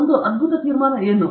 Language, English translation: Kannada, What a brilliant conclusion